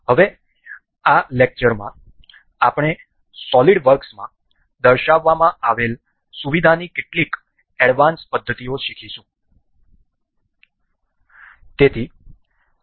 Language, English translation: Gujarati, Now, in this lecture, we will go on some to learn some advanced methods of the methods feature featured in solid works